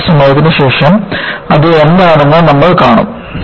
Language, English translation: Malayalam, And, we will see, what it is, a little while later